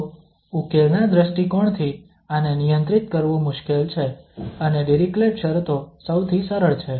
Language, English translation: Gujarati, So this is the difficult one to handle from the solution point of view and the Dirichlet conditions are the easiest one